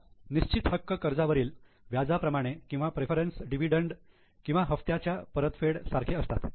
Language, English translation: Marathi, Now the fixed claims are like interest on loan or preference dividend or the repayment of installments